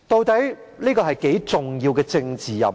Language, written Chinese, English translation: Cantonese, 這是何等重要的政治任務？, What is it all about? . What kind of important political task is this?